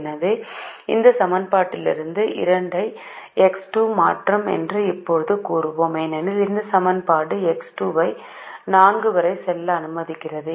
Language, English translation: Tamil, so we will now say that x two will replace x three from this equation, because this equation allows x two to go upto four, which is here, which is here